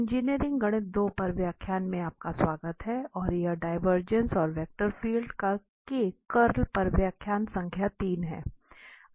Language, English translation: Hindi, Ok, Welcome back to lectures on Engineering Mathematics 2 and this is lecture number 3 on Divergence and Curl of Vector Field